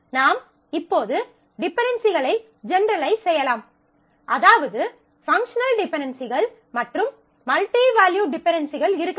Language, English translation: Tamil, So, that given a set of dependencies I will now generalize and say dependencies, which means that there could be functional dependencies, as well as multivalued dependencies